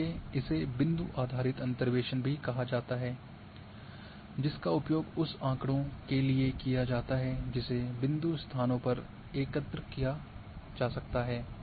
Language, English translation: Hindi, So, that is why it is also called point based interpolations which is used for the data which can be collected at point locations